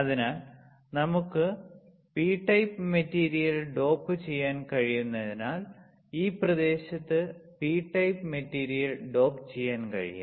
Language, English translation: Malayalam, So, that we can dope P type material so that we can dope in this area P type material right